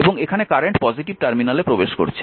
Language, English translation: Bengali, And this is your this is this current is entering the positive terminal